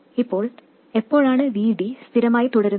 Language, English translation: Malayalam, Now, when does V D stay constant